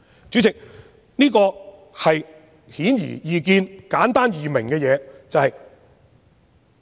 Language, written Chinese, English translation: Cantonese, 主席，這是顯而易見、簡單易明的論點。, President this is an obvious simple and easy - to - understand argument